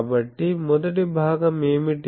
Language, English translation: Telugu, So, what is the first part